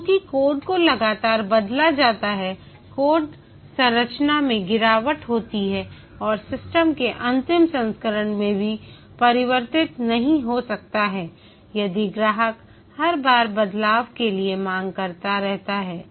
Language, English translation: Hindi, Since the code is changed continually, the code structure degrades and the system may not even converge to a final version if each time the customer keeps an change asking for changes